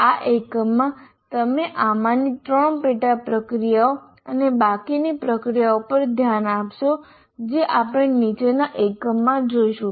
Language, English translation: Gujarati, And in this particular unit we will be particularly looking at three of the sub processes and the remaining ones we will look at in the following unit